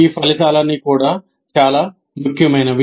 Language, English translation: Telugu, Now all these outcomes also are becoming very significant